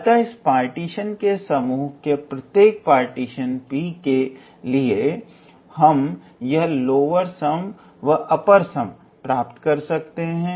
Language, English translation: Hindi, So, for every partition P of this family of partitions, we can be able to obtain this upper sum and lower sum